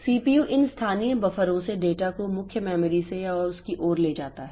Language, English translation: Hindi, CPU moves data from or to main memory to or from this local buffers